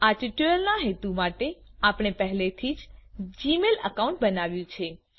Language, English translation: Gujarati, For the purpose of this tutorial, we have already created a g mail account